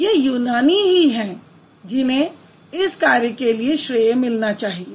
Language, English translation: Hindi, It's the Greeks who actually should get the credit